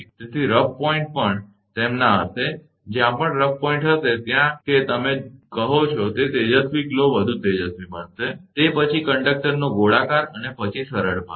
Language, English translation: Gujarati, So, rough points also will be their, wherever rough points will be there, that your what you call that luminous glow will a be much brighter, then the round then smooth portion of the conductor